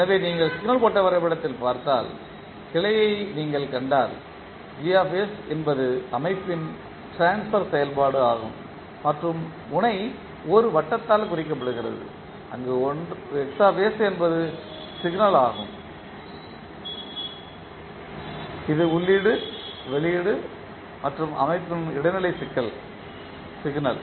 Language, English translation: Tamil, So, if you see the branch if you see in the signal flow graph the Gs is a transfer function of the system and node is represented by a circle where Xs is the signal that can be either input output or the intermediate signal of the system